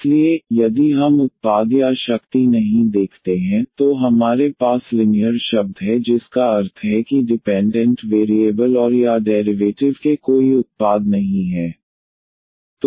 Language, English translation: Hindi, So, if we do not see the product or the power, then we have the linear term meaning the no product of the dependent variable and or the derivatives occur